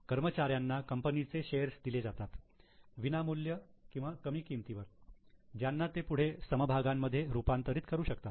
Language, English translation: Marathi, Employees are issued shares either as free or at a discount which they can convert into equity shares